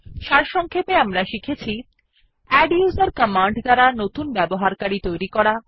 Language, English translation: Bengali, To summarise, we have learnt: adduser command to create a new user